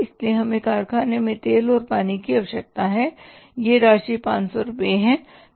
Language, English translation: Hindi, So, we require oil and water in the factory and how much that amount is 500 rupees